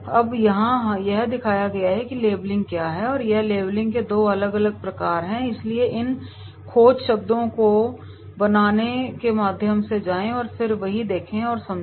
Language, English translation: Hindi, Now here it has been shown labelling is shown and that is what are the 2 different types of labelling are there so that labelling has been shown, so go through these making the keywords and then that is there